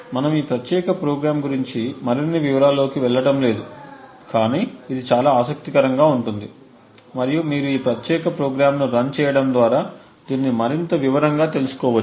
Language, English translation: Telugu, We will not go more into detail about this particular program and it is actually quite interesting and you could look at it more in detail and try to run this particular program